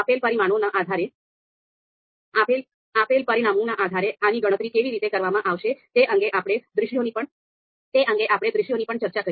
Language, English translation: Gujarati, We also discussed the scenarios how this is going to be computed based on the given parameters